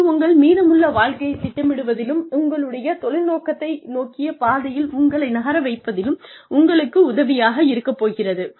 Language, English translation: Tamil, This is going to really help you, in planning the rest of your lives, and moving in a focused manner, towards your career objective